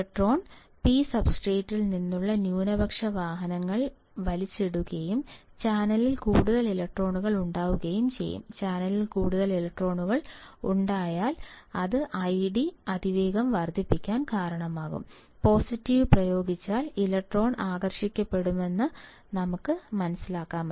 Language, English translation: Malayalam, The electron ; the minority carriers from the P substrate will be pulled up and there will be more number of electrons in the channel, there will be more number of electrons in the channel that will cause I D to increase rapidly; see we have to just understand positive apply electron will be attracted